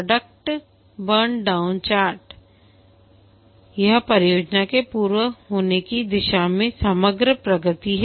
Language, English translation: Hindi, The product burn down chart, this is the overall progress towards the completion of the project